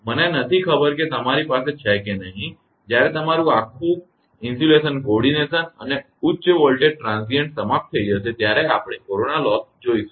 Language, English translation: Gujarati, I do not know whether you have when this whole your insulation coordination and these high voltage transients will be over we will take the corona loss